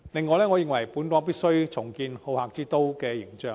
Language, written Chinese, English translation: Cantonese, 我認為本港必須重建好客之都的形象。, I believe Hong Kong must rebuild its hospitable image